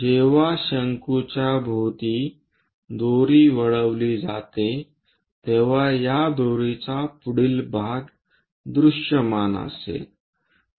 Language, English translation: Marathi, When a rope is winded around a cone, the front part front part of that rope will be visible